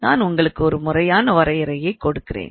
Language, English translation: Tamil, Now to give you formal definition it goes like this